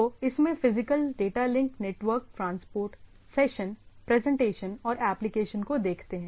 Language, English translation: Hindi, So, it is it has physical, data link, network, transport, session and presentation additional things what we see here and the application